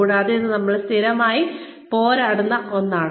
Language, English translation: Malayalam, And, this is something that, we struggle with, on a regular basis